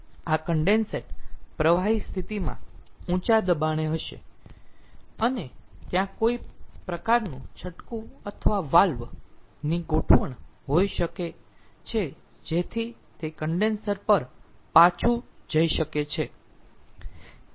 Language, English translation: Gujarati, so this condensate will be at high pressure in the liquid condition and there could be some sort of a trap or valve arrangement with that it can be returned back to the condenser